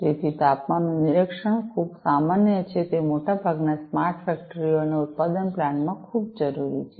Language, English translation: Gujarati, So, temperature monitoring is very common it is very much required in most of the smart factories and manufacturing plants